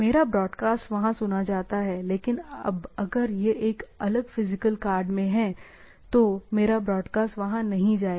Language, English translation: Hindi, So, my broadcast is heard there, but now if it is a different physically card, so, my broadcast is not going to their other things, right